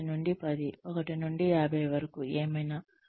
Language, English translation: Telugu, 1 to 10, 1 to 50, whatever